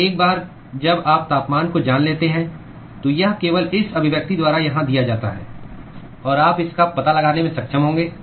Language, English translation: Hindi, So, once you know the temperature this is simply given by this expression here, and you will be able to find out